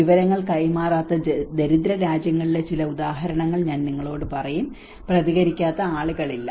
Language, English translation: Malayalam, I will tell you some examples in the poorer countries where the information has not been passed, and it has not been people who have not responded